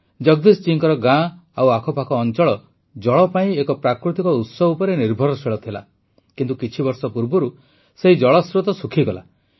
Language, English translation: Odia, Jagdish ji's village and the adjoining area were dependent on a natural source for their water requirements